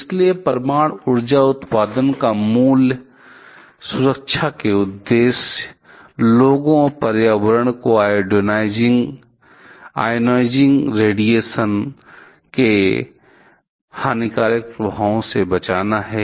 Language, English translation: Hindi, So, the fundamental safety objective of a nuclear power generation is to protect people and the environment from harmful effects of ionizing radiation